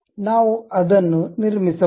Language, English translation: Kannada, This is the way we construct it